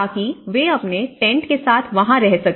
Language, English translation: Hindi, So that, you know they can move with their tents